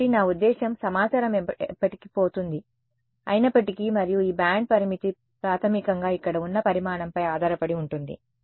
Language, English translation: Telugu, So, even though I mean yeah that information is lost forever and this band limit depends on basically what is the dimension over here